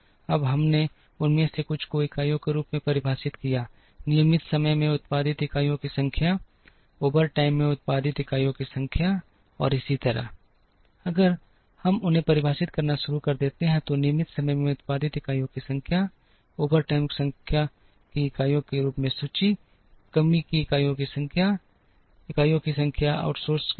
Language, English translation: Hindi, Now, we defined some of them as units, number of units produced in regular time, number of units produced in overtime, and so on, if we start defining them, as number of units produced in regular time, overtime, number of units of inventory, number of units of shortage, number of units outsourced